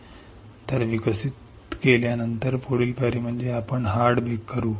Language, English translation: Marathi, So, next step would be we after developing, next step would be we will do hard bake